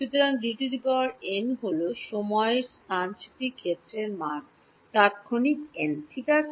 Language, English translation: Bengali, So, D n is the value of displacement field at time instant n ok